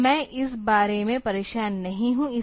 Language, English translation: Hindi, So, I am not bothered about that